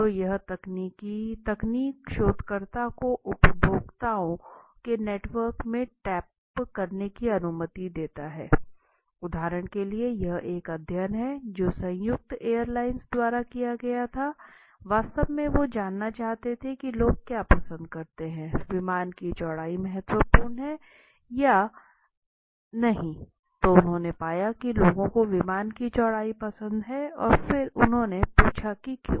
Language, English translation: Hindi, So this technical allows the researcher to tap into the consumers network of meanings for example a this is a study which was done by united airlines in fact right what will they do they wanted to know what do people like do they like more a aircraft which is very wide or width of the aircraft is not so important right so they found that people said most of the people liked the aircrafts when they were more wide in shape and why then they asked why do we like wide aircrafts